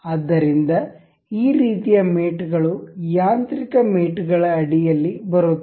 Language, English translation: Kannada, So, could do this kind of mates these are these come under mechanical mates